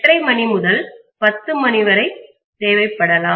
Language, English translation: Tamil, 5 to 10 hours, the entire thing